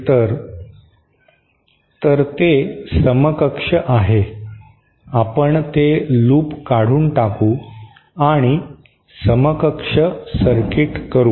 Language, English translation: Marathi, Then that is equivalent, we can remove that loop and have an equivalent circuit like this